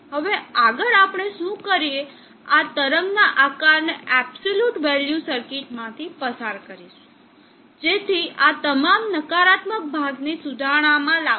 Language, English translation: Gujarati, Now next what we do is pass this wave shape through an absolute value circuit, so that all this negative portion will bring it up and rectify basically